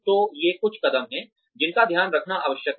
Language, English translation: Hindi, So, these are some of the steps, that one needs to take care of